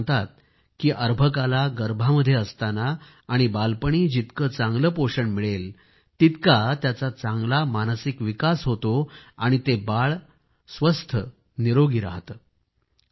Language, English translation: Marathi, Experts are of the opinion that the better nutrition a child imbibes in the womb and during childhood, greater is the mental development and he/she remains healthy